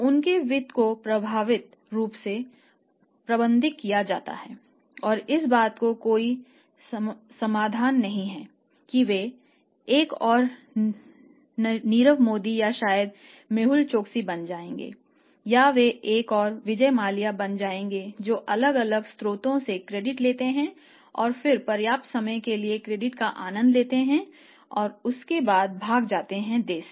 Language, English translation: Hindi, Their finances are also message say nicely being managed effectively being managed and there is no likelihood of possibility that they will become another Nirav Modi or maybe Mehul Choksi or they will be another Vijay Mallya that they want to take the credit from different sources then you enjoy the credit for sufficient period of time and after that wind the business in and run out of the country that should not the situation